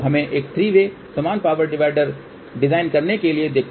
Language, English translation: Hindi, So, let us see in order to design a 3 way equal power divider